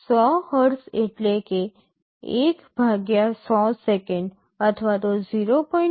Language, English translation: Gujarati, 100 Hz means 1 / 100 second = 0